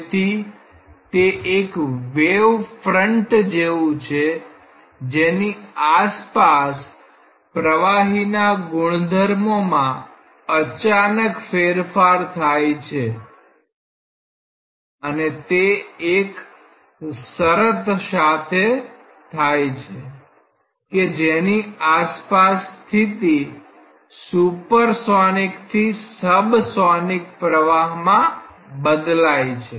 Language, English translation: Gujarati, So, there is like a wave front across which there is a jump in all the properties of flow and that takes place with a condition, that across that there is a change in state from a supersonic to a subsonic flow